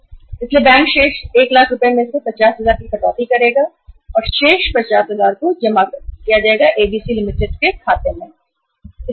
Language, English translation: Hindi, So bank will deduct 50,000 out of the remaining 1 lakh and remaining 50,000 will be credited into the account of ABC Limited